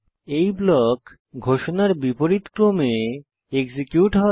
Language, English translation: Bengali, These blocks will get executed in the order of declaration